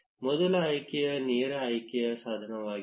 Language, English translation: Kannada, The first option is the direct selection tool